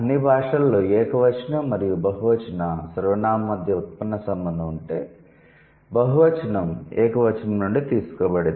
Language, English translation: Telugu, In all languages, if there is a derivational relationship between a singular and a plural pronoun, then the plural is derived from the singular